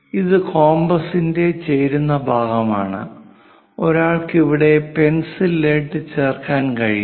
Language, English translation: Malayalam, And this is a joining part of compass, which one can insert through which lead can be used